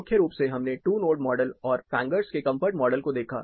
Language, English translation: Hindi, Primarily, we looked at the pierces two node model and Fanger’s comfort model